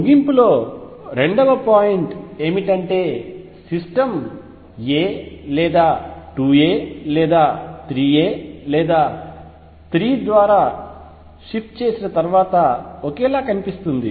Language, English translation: Telugu, Conclusion number 2, the system looks identical after shift by a or 2 a or 3 a or so on